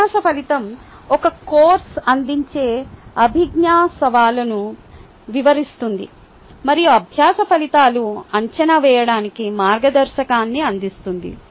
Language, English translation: Telugu, learning outcome explains the cognitive challenge offered by a course and learning outcomes provides a guideline for assessment